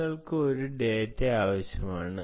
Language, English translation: Malayalam, you want single piece of data